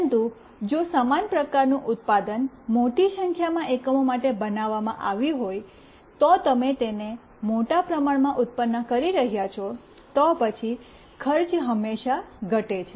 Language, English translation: Gujarati, But, if the same kind of product is designed for a large number of units, you are producing it in a bulk, then the cost always reduces